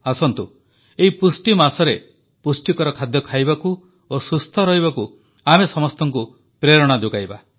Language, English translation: Odia, Come, let us inspire one and all to eat nutritious food and stay healthy during the nutrition month